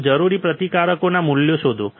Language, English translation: Gujarati, Find the values of resistors required